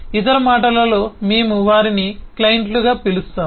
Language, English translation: Telugu, these are commonly called clients